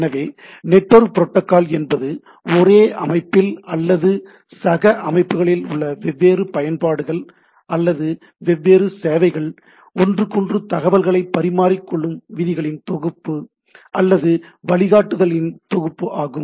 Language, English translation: Tamil, So, it is a set of rules, set of guidelines or what that by which the different, the different applications or the different services in the same system or with the peer systems things can interchange